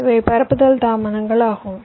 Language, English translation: Tamil, these are the propagation delays